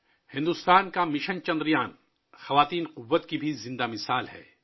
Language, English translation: Urdu, India's Mission Chandrayaan is also a live example of woman power